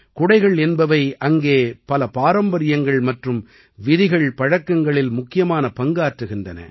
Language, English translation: Tamil, Umbrellas are an important part of many traditions and rituals there